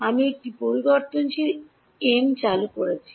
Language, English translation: Bengali, I have introduced a variable m